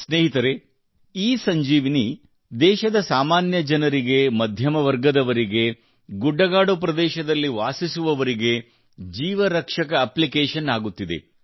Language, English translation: Kannada, Friends, ESanjeevani is becoming a lifesaving app for the common man of the country, for the middle class, for the people living in hilly areas